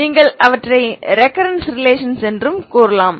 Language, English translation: Tamil, You can call them as a recurrence relations ok